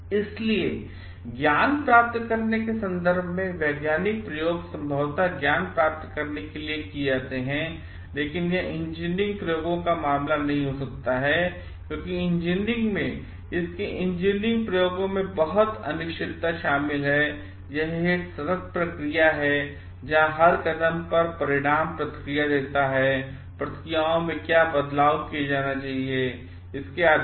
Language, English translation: Hindi, So, not in terms of knowledge gained, scientific experiments are most probably conducted to gain knowledge, but this may not be the case of engineering experiments because engineering in its engineering experiments there are so much of uncertainty is involved and it is an ongoing process where at every step the outcome gives the feedback based on what is the changes in processes needs to be made